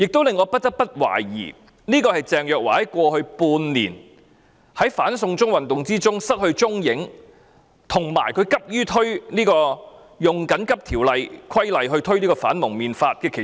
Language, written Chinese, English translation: Cantonese, 在過去半年，鄭若驊在"反送中"運動中失去蹤影，以及她急於引用《緊急情況規例條例》推出《禁止蒙面規例》。, In the past six months Teresa CHENG disappeared in the Anti - extradition to China movement and she hastily introduced the Prohibition on Face Covering Regulation by invoking the Emergency Regulations Ordinance